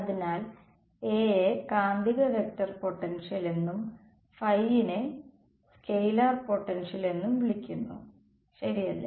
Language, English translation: Malayalam, So, A is called the magnetic vector potential and phi is called the scalar potential right